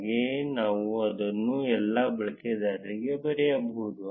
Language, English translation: Kannada, Similarly, we can write it for all the users